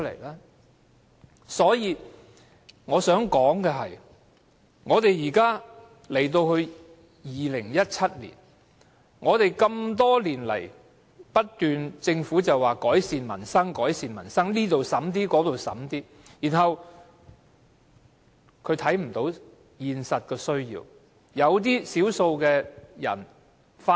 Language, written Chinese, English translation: Cantonese, 因此，我想指出，現在已是2017年，政府多年來不斷表示會改善民生，這方面花一點錢，那方面花一點錢，但卻未有看到實際的需要。, Hence I would like to point out that in this year of 2017 the Government has made a continuous effort to improve peoples livelihood by commiting some resources to various areas yet overlooking their practical needs